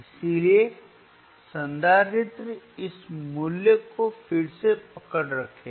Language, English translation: Hindi, So, capacitor will hold this value again